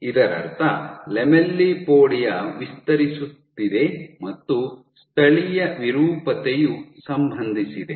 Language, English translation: Kannada, So, this would mean that the lamellipodia is expanding and any local deformation is associated